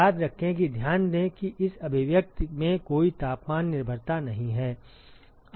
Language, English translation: Hindi, Remember that, note that there is no temperature dependence in this expression at all